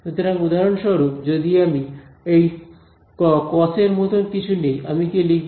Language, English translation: Bengali, So, for example, does if I take something like this cos of; cos of what do I write